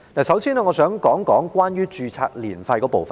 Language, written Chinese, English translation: Cantonese, 首先，我想說一說註冊年費。, First of all I would like to talk about ARF